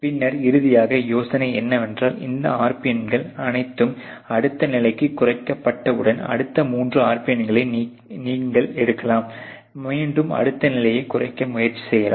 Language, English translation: Tamil, And then finally the idea is that once all these RPN’s are reduce to the next level, you can take next three RPN, again to try to reduce the next level so and so forth